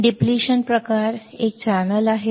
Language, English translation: Marathi, In depletion type, there is a channel